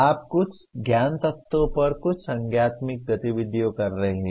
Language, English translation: Hindi, You are doing performing some cognitive activity on some knowledge elements